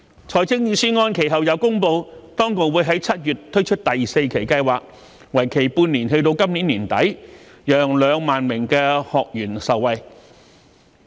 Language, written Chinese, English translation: Cantonese, 財政預算案其後又公布，當局會於7月推出第四期計劃，為期半年至今年年底，讓2萬名學員受惠。, Subsequently it is announced in the Budget that the authorities will introduce the fourth tranche of the Scheme in July which will last for six months until the end of this year benefiting 20 000 trainees